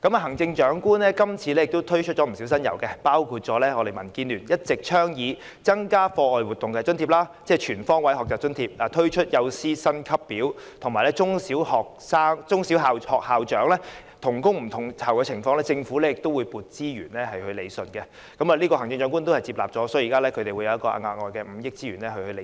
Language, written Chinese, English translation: Cantonese, 行政長官這次推出不少新猷，包括民建聯一直倡議的增加課外活動津貼，即全方位學習津貼、探討設立幼師薪級表的可行性及中小學校長同工不同酬的情況，政府要批撥資源來理順——這項建議行政長官接納了，政府會撥出額外5億元來理順。, The Chief Executive has launched a number of new initiatives this time including some all along advocated by DAB such as introducing a grant for extra - curricular activities ie . the Life - wide Learning Grant exploring the feasibility of introducing a salary scale for kindergarten teachers and allocating resources to address the phenomenon of unequal pay for the same work among principals and vice - principals of primary and secondary schools―This proposal has been accepted by the Chief Executive and the Government will allocate an additional 500 million to rationalize the salaries